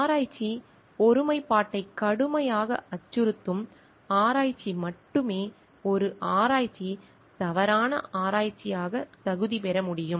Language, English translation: Tamil, Only research that seriously threatens research integrity can qualify as a research misconduct research